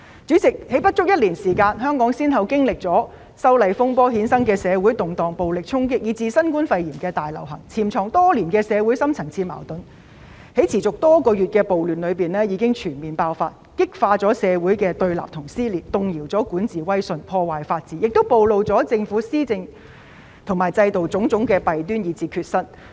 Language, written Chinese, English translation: Cantonese, 主席，在不足一年內，香港先後經歷了修例風波衍生的社會動盪、暴力衝擊，以至新冠肺炎大流行，潛藏多年的社會深層次矛盾在持續多月的暴亂中全面爆發，激化了社會的對立和撕裂，動搖了管治威信，破壞法治，亦暴露了政府施政和制度的種種弊端及缺失。, President in less than a year Hong Kong has experienced social unrest caused by the disturbances arising from the opposition to the proposed legislative amendments violent storming and the novel coronavirus pandemic . The deep - seated social conflicts that have been hidden for many years have been fully exposed in the course of riots that lasted for months . This has intensified opposition and dissension in society shaken the prestige of governance undermined the rule of law and exposed various shortcomings and deficiencies of the Governments governance and institutions